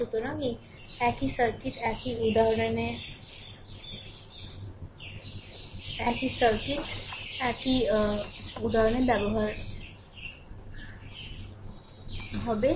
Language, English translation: Bengali, So, a circuit remain same example 10 circuit remain same only